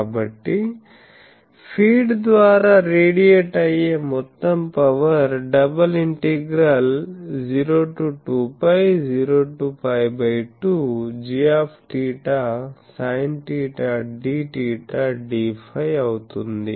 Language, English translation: Telugu, So, the total power radiated by the feed that will be 0 to 2 pi 0 to pi by 2 then d theta sin theta d theta d phi